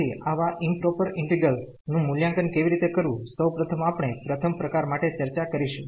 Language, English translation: Gujarati, So, how to evaluate such improper integrals, for first we will discuss for the first kind